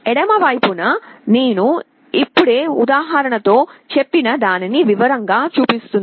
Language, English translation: Telugu, On the left hand side it shows exactly what I just now told with the example